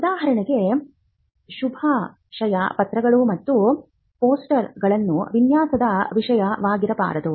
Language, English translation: Kannada, For instance, greeting cards and postcards cannot be a subject matter of a design right